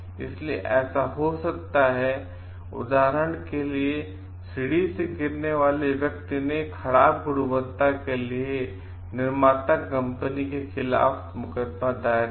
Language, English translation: Hindi, So, for example, person who fell from the ladder sued the manufacturer for it is bad quality, it may happen